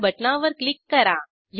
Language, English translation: Marathi, Click on the start button